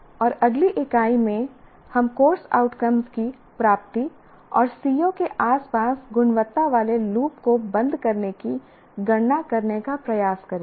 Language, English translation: Hindi, And in the next unit, we will try to compute the attainment of course outcomes and how to close the quality loop around the C MOS